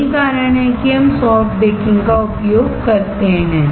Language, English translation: Hindi, That is why we use soft baking